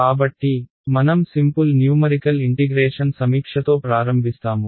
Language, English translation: Telugu, So, we will start with the review of Simple Numerical Integration ok